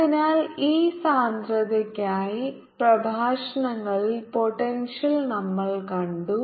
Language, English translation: Malayalam, so for this density we have seen a in the lectures, the potential